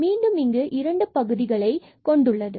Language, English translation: Tamil, So, we will get 2 y and we will get here 12 x square